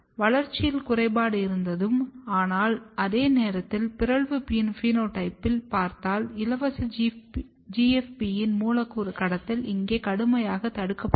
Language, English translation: Tamil, There was defect in the growth, but at the same time, if you look the mutant phenotype, the unloading of the GFP or the molecular trafficking of the free GFP was strongly inhibited here